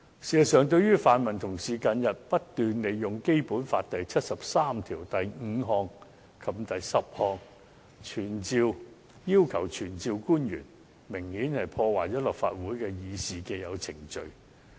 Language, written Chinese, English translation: Cantonese, 事實上，泛民同事近日不斷利用《基本法》第七十三條第五項及第十項，要求傳召官員，明顯破壞了立法會議事的既有程序。, As a matter of fact recently pan - democratic colleagues have been invoking Article 735 and 10 of the Basic Law incessantly to summon various officials which has obviously disrupted the established Council proceedings